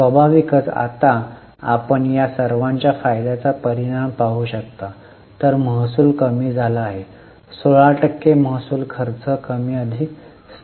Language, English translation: Marathi, 11 percent naturally you can now see the impact of profitability of all this while the revenue has come down by 16 percent revenues expenses are more or less constant